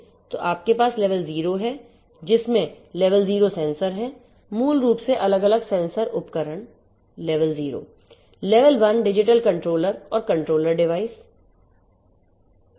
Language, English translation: Hindi, So, you have level 0 you are going to have level 0 sensors basically the you know having different sensor equipments level 0